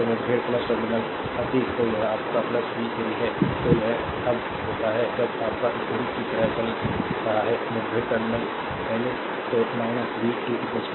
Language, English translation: Hindi, So, encountering plus terminal past so, it is your plus v 3, then it is when your moving like this clock wise encountering minus terminal first so, minus v 2 is equal to 0